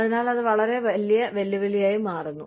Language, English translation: Malayalam, So, that becomes a very big challenge